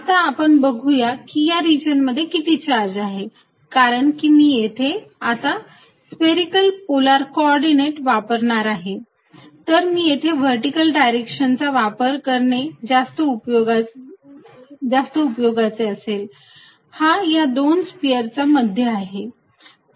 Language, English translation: Marathi, Let us now take how much is the charge in this region, now since I am going to use this spherical polar coordinates it will be useful if I make this arrangement in the vertical direction, this is the centre of the two spheres